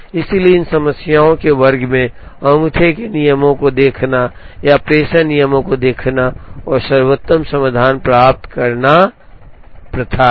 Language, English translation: Hindi, Therefore in these class of problems, it is customary to look at thumb rules or what are called dispatching rules, to try and get the best solution